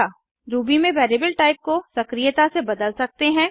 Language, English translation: Hindi, In Ruby you can dynamically change the variable type